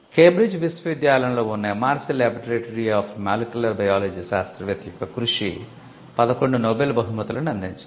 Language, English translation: Telugu, The MRC Laboratory of Molecular Biology, which is in the University of Cambridge, the work of the scientist has attracted 11 Nobel prizes